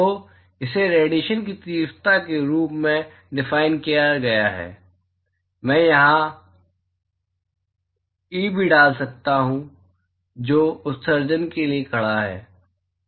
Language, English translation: Hindi, So, it is defined as the intensity of radiation, I can also put e here, which stands for emission